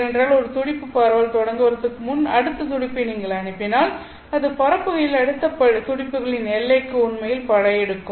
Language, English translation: Tamil, Because if you send in a pulse before the pulse spreading has been taken into account, then the pulse as it propagates would spread and then it would actually invade into the other pulses territory